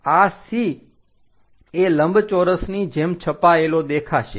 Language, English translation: Gujarati, This C will be mapped like a rectangle